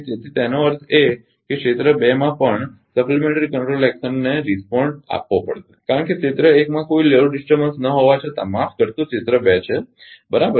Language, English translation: Gujarati, So, that means, that means that ah supplementary control action also in area 2 ah has to be responded because although there is no load disturbance in area 1 I sorry area 2 right